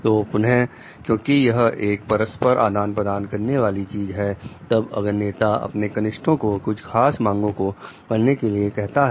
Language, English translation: Hindi, So, again because it is a reciprocating kind of thing then if the for if the leader is telling the junior to perform to a certain standard